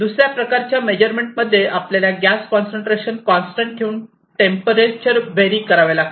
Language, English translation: Marathi, The second type of measurement is that you keep your gas concentration constant and vary the temperature